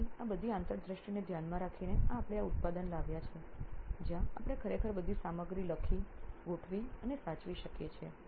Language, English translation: Gujarati, So considering all these insights we have come to this product where we can actually write, organize and save virtually all the content